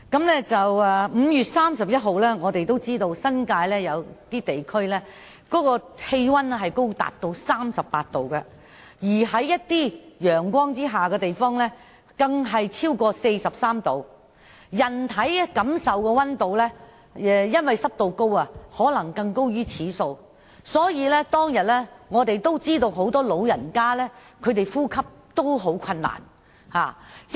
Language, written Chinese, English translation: Cantonese, 眾所周知，在5月31日，新界部分地區的氣溫高達 38°C， 有些地方的氣溫在陽光照射下甚至超過 43°C， 而體感溫度更可能因為濕度高而高於此數，所以當天很多長者感到呼吸困難。, As we all know on 31 May the temperature was as high as 38°C in some parts of the New Territories; in some areas the temperature under the sun even exceeded 43°C and high humidity might have contributed to an even higher apparent temperature . Therefore many elderly persons complained of breathing difficulties on that day